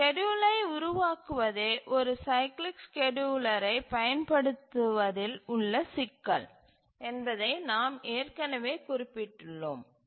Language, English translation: Tamil, We have already mentioned that one complication in using a cyclic scheduler is constructing a schedule